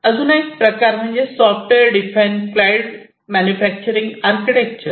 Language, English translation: Marathi, And another one is the software defined cloud manufacturing architecture